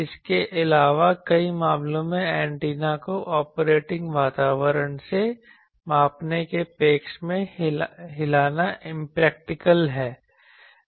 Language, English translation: Hindi, Also in many cases it is impractical to move the antenna from the operating environment to the measuring side